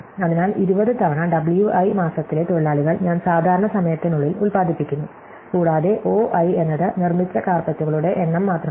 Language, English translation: Malayalam, So, 20 time W i what workers in month i produce within the normal time and in addition to that O i is just the number of carpets made